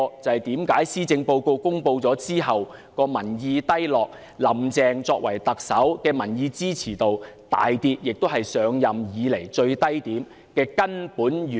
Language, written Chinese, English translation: Cantonese, 這正是施政報告公布後，政府民意低落，"林鄭"作為特首的民意支持度大跌，跌至她上任以來的最低點的根本原因。, This is why the popularity rating of the Government remains low and that of Carrie LAM dropped drastically hitting a record low since she took office after the announcement of the Policy Address